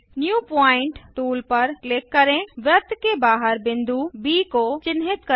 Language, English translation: Hindi, Click on the New pointtool,Mark a point B outside the circle